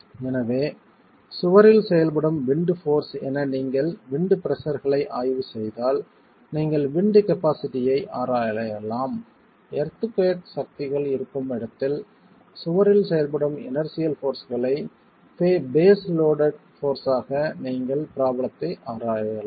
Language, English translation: Tamil, So if you are examining wind forces as wind pressure acting on the wall you could examine the capacity or where earthquake forces then you could examine the problem as the inertial force acting on the wall as the face loaded forces